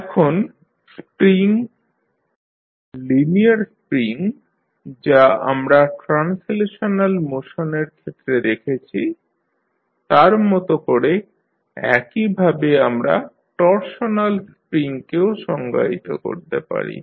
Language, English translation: Bengali, Now, similar to the spring, linear spring which we saw in case of translational motion, we can also define torsional spring